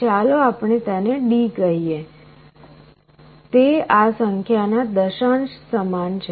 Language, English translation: Gujarati, Let us call this as D; it is the decimal equivalent of this number